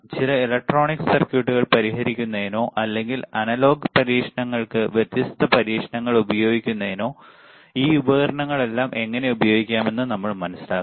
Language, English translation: Malayalam, And then we understand that how we can use this all the equipment to solve some electronic circuits or to or to use different experiments to analog experiments, right